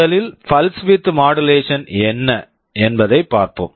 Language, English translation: Tamil, First let us see exactly what pulse width modulation is